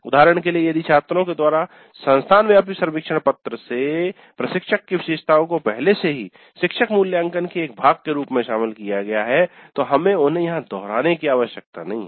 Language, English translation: Hindi, For example, if instructor characteristics are already covered as a part of the faculty evaluation by students aspect of the institute wide survey form, then we don't have to repeat them here